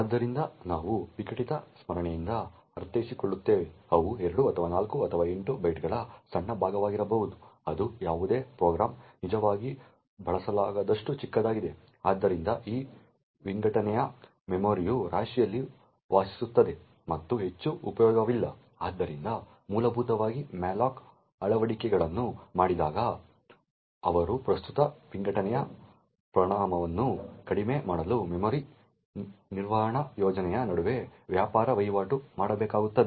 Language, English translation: Kannada, So what we mean by fragmented memory is that they would be tiny chunk of memory may be of 2 or 4 or 8 bytes which are too small to be actually used by any program, so by these fragmented memory just reside in the heap and is of not much use, so essentially when malloc implementations are made they would have to trade off between the memory management scheme so as to reduce the amount of fragmentation present